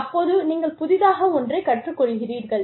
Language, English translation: Tamil, You learn something new